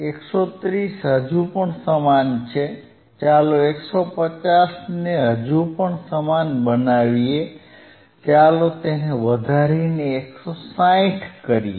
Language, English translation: Gujarati, Llet us go further, let us make 130; 130 still same, let us make 150 still same, let us increase it to 160